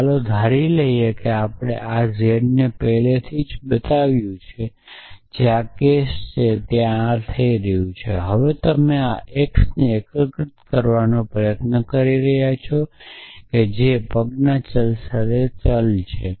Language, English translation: Gujarati, So, let us assume that we have already made this z which is this case where this is happening now you are trying to unify this x which is a variable with feet of